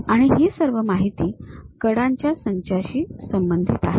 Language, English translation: Marathi, And, all this information is related to set of edges